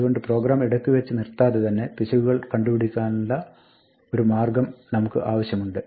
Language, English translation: Malayalam, So, we want a way to catch the error and deal with it without aborting the program